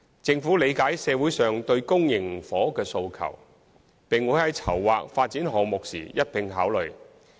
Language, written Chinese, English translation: Cantonese, 政府理解社會上對公營房屋的訴求，並會在籌劃發展項目時一併考慮。, The Government is aware of the demand for public housing in the community and will take them into consideration in the planning work on the development project